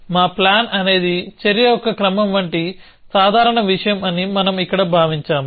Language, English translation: Telugu, So, we have assumed here that our plan is a simple thing like sequence of action